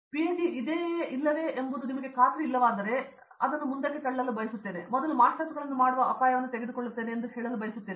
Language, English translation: Kannada, So, I would like to tell that if you are not sure as to whether PhD for me or not, I would like to you push ahead and take the risk of doing masters first